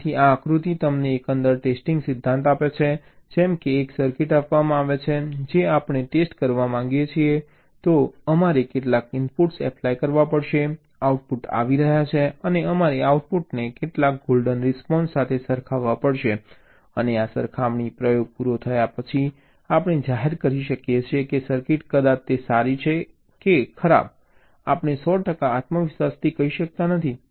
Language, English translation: Gujarati, so this diagram gives you the overall testing principle, like, given a circuit which we want to test, we have to apply some inputs, the outputs are coming and we have to compare this outputs again, some golden response, and after this comparison experiment is over, we can declare that the weather is circuit is probably good or it is definitely bad